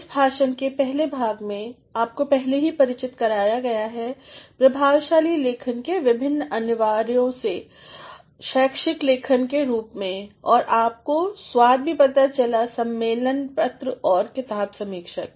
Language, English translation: Hindi, In the first part of this lecture, you have already been introduced to the various Essentials of Effective Writing in the form of academic writing and you also had a test of conference papers and book review